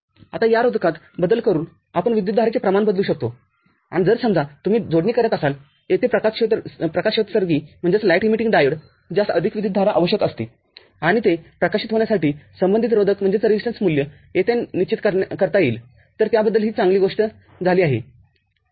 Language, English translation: Marathi, Now, by varying this resistance we can vary the amount of current and if you are connecting say, a light emitting diode over here which requires more current and corresponding resistance values can be decided here to make it glow